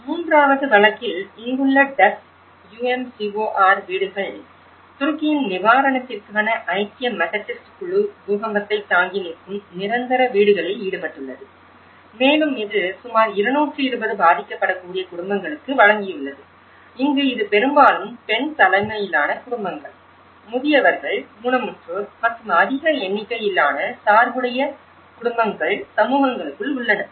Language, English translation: Tamil, In the third case, Duzce UMCOR houses here, the United Methodist Committee on relief of Turkey was engaged in earthquake resistant permanent housing and it has provided for about 220 vulnerable families and here, it has mostly focused on the female headed households and the elderly and the disabled and the families with a large number of dependents within the communities